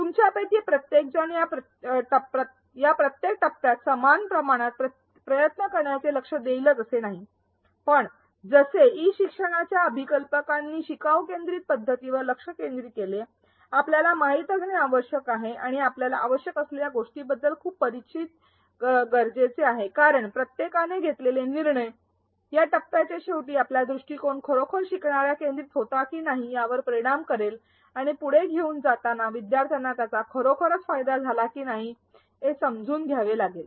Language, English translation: Marathi, Not each one of you may be focusing equal amount of effort in each of these phases, but as designers of e learning focused on a learner centric approach, we need to know and we need to be very familiar with what is required in each of these phases because the decisions made in each of these phase ultimately will affect whether our approach was indeed learner centric and whether to take it further learners indeed benefited from it